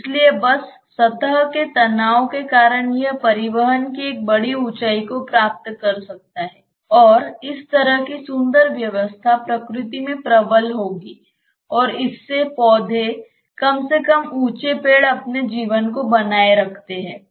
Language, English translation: Hindi, So, just because of the surface tension it can attain in a large height of transport, and that kind of will be beautiful mechanism prevails in nature and that makes the plants at least the tall trees sustain their lives